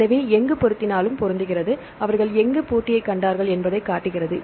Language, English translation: Tamil, So, it matches wherever it matched, it showed where they found the match